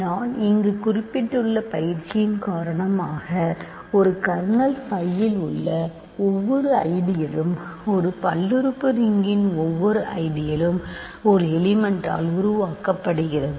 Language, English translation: Tamil, So, now, I know, because of the or the rather the exercise that I mentioned here, every ideal in a kernel phi is a, every ideal in the polynomial ring R x is generated by a single element